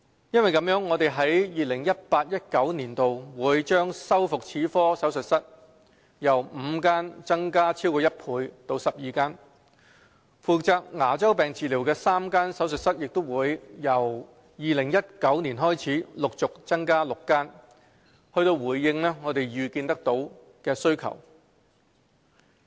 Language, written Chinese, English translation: Cantonese, 有見及此，我們在 2018-2019 年度會將修復齒科手術室由5間增加超過1倍至12間，負責牙周病治療的3間手術室也將由2019年開始陸續增加至6間，以回應可預見的需求。, Such being the case the number of prosthodontic dental surgeries will be doubled from five to 12 in 2018 - 2019 and the number of surgeries for periodontosis treatment will also be gradually increased from three to six in 2019 in response to anticipated needs